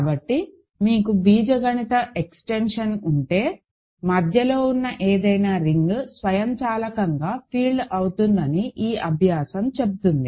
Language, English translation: Telugu, So, this exercise says that, if you have an algebraic extension any ring in between is automatically a field